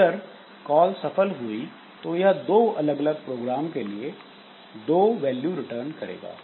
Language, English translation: Hindi, Now if the call is successful then it returns two values and two values to different programs